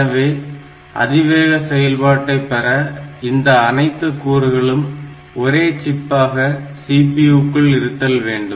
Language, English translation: Tamil, So, for a high speed design, what is required is that all these components within the CPU they should be contained in a single chip